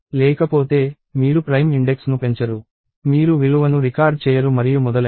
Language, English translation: Telugu, Otherwise, you do not increment the primeIndex, you do not record the value and so on